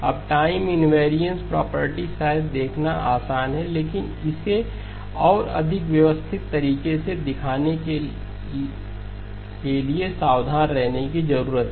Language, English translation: Hindi, Now the time invariance property probably easy to see but also need to be careful to show it in a more systematic fashion